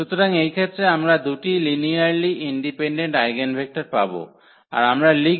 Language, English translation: Bengali, So, in this case we will get two linearly independent eigenvectors, and that is what we write